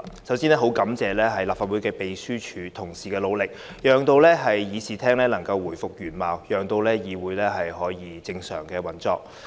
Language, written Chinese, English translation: Cantonese, 首先，我很感謝立法會秘書處同事的努力，讓議事廳能夠回復原貌，議會得以正常運作。, To start with I am much grateful to colleagues of the Legislative Council Secretariat for their efforts exerted in restoring the Chamber to its original condition to enable the legislature to resume normal operation